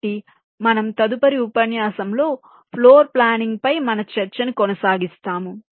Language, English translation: Telugu, so we continuing with our discussion on floor planning in the next lecture